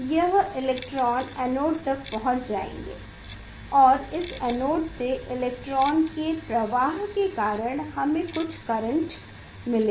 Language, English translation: Hindi, this electron will reach to the anode and we will get; we will get some current because of the flow of this electron through this anode